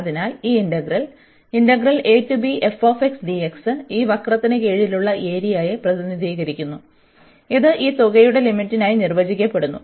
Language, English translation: Malayalam, So, this integral a to b f x dx represents the area under this curve here and this is defined as the limit of this sum